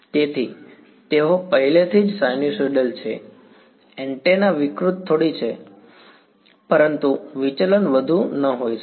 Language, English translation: Gujarati, So, they are already sinusoidals the antenna distorts is a little bit, but the deviation may not be much